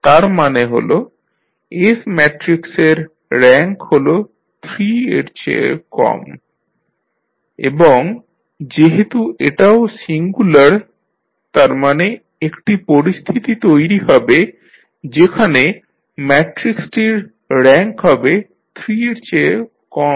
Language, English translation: Bengali, That means that the rank of matrix S is less than 3 and since it is also singular means there will be definitely a case when the rank of the matrix will be less than 3